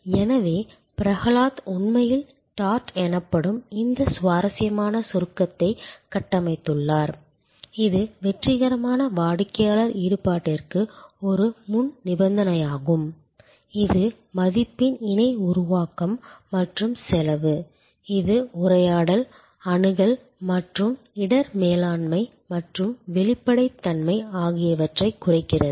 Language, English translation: Tamil, So, Prahalad that actually configured this interesting acronym called dart, which is a prerequisite for successful customer involvement in co creation of value and to expend, it stands for dialogue, access and risk management and transparency